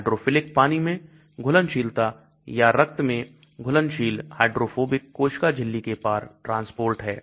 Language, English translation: Hindi, Hydrophilic water soluble or in blood soluble, hydrophobic transport across the cell membrane